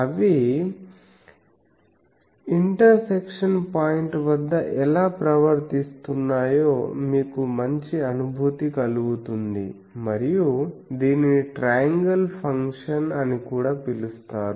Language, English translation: Telugu, So, that you get a good feel that how the at the intersection point how they are behaving and this is called also triangle function